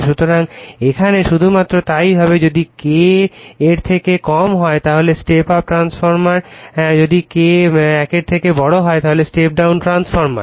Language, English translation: Bengali, So, will be the here only right so, if K less than that is step up transformer if K greater than that is step down transformer